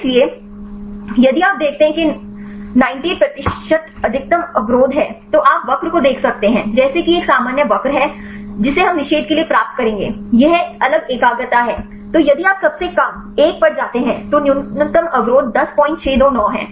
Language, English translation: Hindi, So, if you see this is the 98 percent of maximal inhibition, you can see the curve like this is a usual curve we will get to for the inhibition this fit different concentration, then if you goes to the lowest one the minimal inhibition is 10